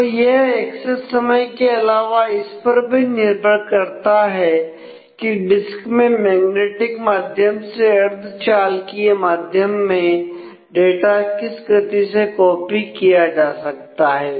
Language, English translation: Hindi, So, it that depends on a besides the access time you will have to see what is the rate at which the disk can be copied from the magnetic medium to the semiconductor medium and transferred